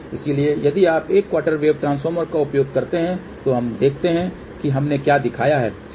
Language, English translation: Hindi, So, if you use one quarter wave transformer, so let us see what we have shown